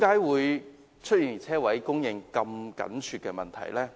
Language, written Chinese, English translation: Cantonese, 為甚麼車位供應這麼緊絀呢？, Why are parking spaces in such a short supply?